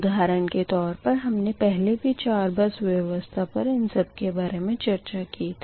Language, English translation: Hindi, already we have discussed all this things per four bus system